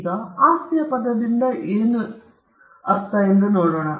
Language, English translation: Kannada, Now, let us look at what we mean by the word property